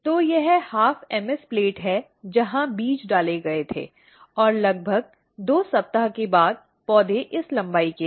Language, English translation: Hindi, So, this is the half MS plate where the seeds were put and after about 2 weeks the plants are of this length